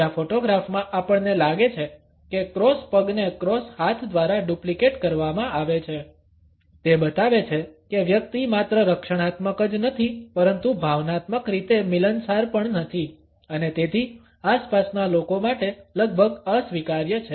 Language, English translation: Gujarati, In the second photograph, we find that the leg cross is duplicated by the arms crossed; it shows that the individual is not only defensive, but is also emotionally withdrawn and therefore, is almost unreceptive to surroundings